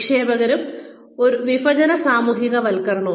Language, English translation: Malayalam, Investiture versus divestiture socialization